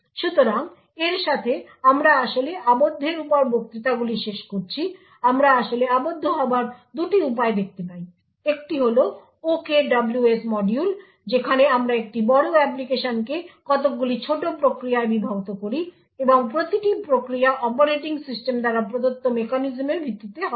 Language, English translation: Bengali, So with this we actually conclude the lectures on confinement, we see two ways to actually achieve confinement, one is the OKWS module where we split a large application into several small processes and each process by the virtue of the mechanisms provided by the operating system will be protected from each other